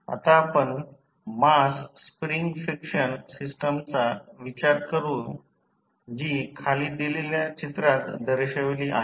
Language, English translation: Marathi, Now, let us consider the mass spring friction system which is shown in the figure below